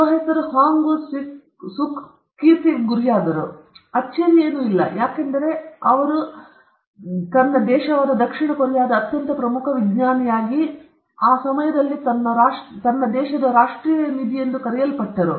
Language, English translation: Kannada, Woo suk shot into fame; no, no surprise, and he became his countryÕs that is South KoreaÕs most prominent scientist and was called its national treasure at that point of time